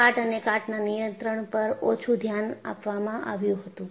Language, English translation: Gujarati, There was little or no attention paid to corrosion and corrosion control